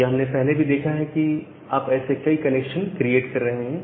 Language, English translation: Hindi, So, as we have looked earlier that you are creating multiple such connections